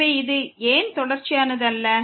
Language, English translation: Tamil, So, why this is not continuous